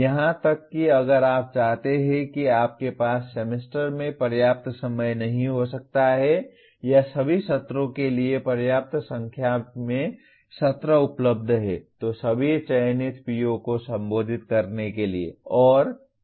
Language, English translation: Hindi, Even if you want to you may not have adequate time in the semester or adequate number of sessions available to you to instruct in the course addressing all the selected POs